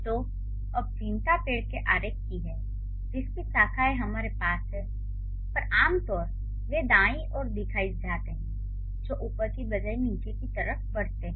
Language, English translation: Hindi, So, now the concern is this kind of a tree, the tree diagram that we have with its branches generally they are shown on the right seems to kind of grow down rather than up